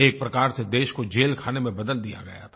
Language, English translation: Hindi, The country had virtually become a prison